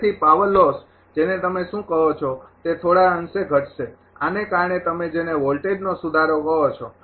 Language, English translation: Gujarati, So, power loss will what you call will decrease to some extent; because of this your what you call that ah voltage improvement